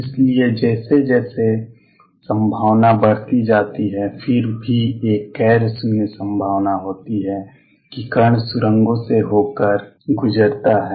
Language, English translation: Hindi, So, as a increases the probability goes down nonetheless there is a non 0 probability that the particle tunnels through